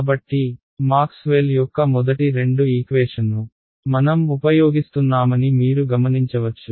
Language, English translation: Telugu, So, you notice that we use the first two equations of Maxwell right